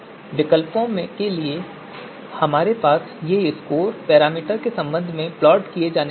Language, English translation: Hindi, So these scores that we have for alternatives so they are going to be plotted with respect to the parameter